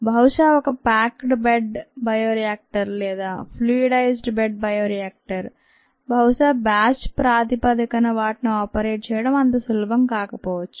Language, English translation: Telugu, ah may be a packed bed bioreactor or a fluidized bed bioreactor, ah, it may not be very easy to operate them on, may be a batch bases